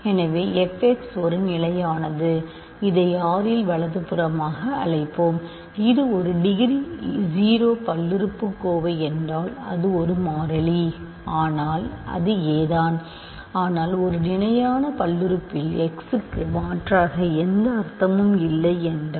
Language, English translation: Tamil, So, f x is a constant; let us call it a in R right it is a degree 0 polynomial means it is a constant a, but then this is just a, but because if there is no meaning to substitute for x in a constant polynomial